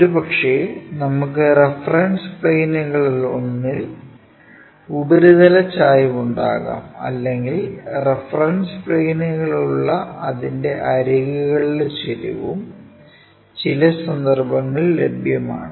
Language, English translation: Malayalam, Possibly, we may have surface inclination with one of the reference planes and inclination of its edges with reference planes also available in certain cases